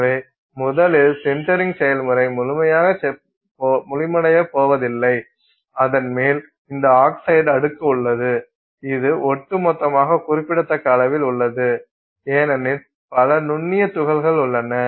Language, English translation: Tamil, So, first of all the sintering process is not going to be complete and on top of it you have this oxide layer which is there in significant quantity overall because you have so many fine particles